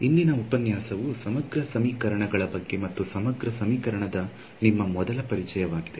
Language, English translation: Kannada, Today’s lecture is going to be about Integral Equations and your very first Introduction to an Integral Equation